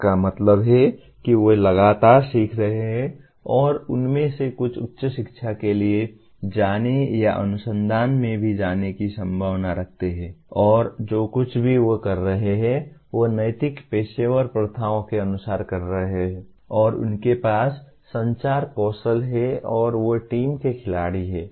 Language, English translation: Hindi, That means they are continuously learning and some of them are likely to go for higher education or go into research as well and whatever they are doing they are doing as per ethical professional practices and they do have communication skills and they are team players